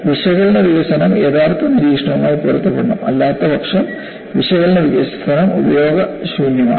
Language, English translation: Malayalam, Because analytical development should match with actual observation; otherwise the analytical development is useless